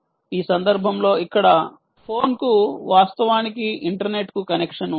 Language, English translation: Telugu, in this event, here the ah phone actually has a, a connection to the internet